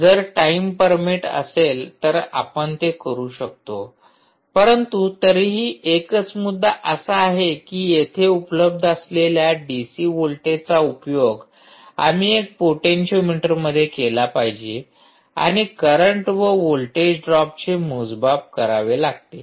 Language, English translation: Marathi, if time permits, we can do that, but anyway, just the point is that the d, c voltage that is available here, ah, we will have to be used across a potentiometer and keep measuring the current as well as the voltage